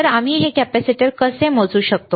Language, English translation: Marathi, So, how we can measure this capacitor